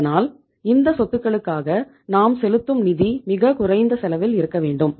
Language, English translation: Tamil, So our cost to fund these assets should also be as low as possible